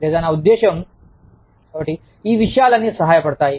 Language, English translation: Telugu, Or, i mean, so, all of these things, help